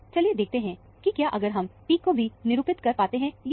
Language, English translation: Hindi, Let us see if we can assign the peaks also